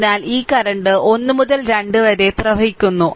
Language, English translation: Malayalam, So, this current is flowing from 1 to 2